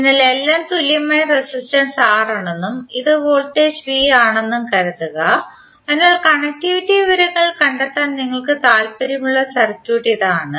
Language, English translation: Malayalam, So suppose all are of equal resistance R and this is voltage V, so this is the circuit you may be interested to find out the connectivity information